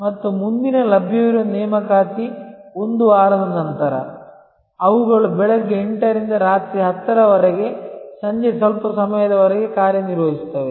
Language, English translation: Kannada, And the next available appointment is 1 week later; they also operate from 8 am to 10 pm a little longer in the evening